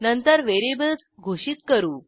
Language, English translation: Marathi, Then we declare the variables